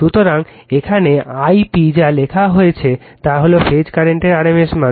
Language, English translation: Bengali, So, your what it is written here I p is the rms value of the phase current right